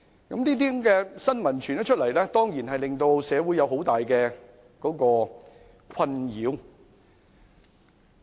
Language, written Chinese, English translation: Cantonese, 這些新聞傳出後，當然令社會有很大困擾。, Such news reports have cause great anxiety in society